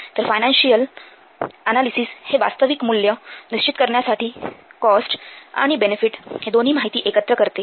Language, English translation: Marathi, So this financial analysis, it combines both the cost as well as benefit data to establish the value of the project